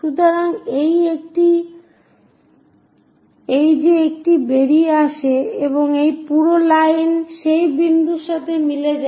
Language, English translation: Bengali, So, that one comes out like that and this entire line coincides to that point